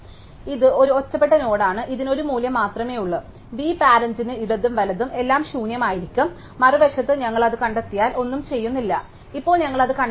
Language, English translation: Malayalam, So, this is an isolated node which has only a value v parent left and right to the all be nil, on the other hand if we find it, then we do nothing, now we have not found it